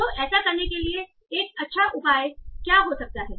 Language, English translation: Hindi, So what can be a good measure for doing that